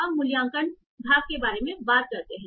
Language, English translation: Hindi, So now let's talk about the evaluation part